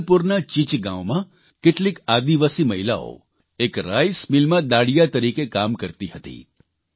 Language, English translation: Gujarati, In Chichgaon, Jabalpur, some tribal women were working on daily wages in a rice mill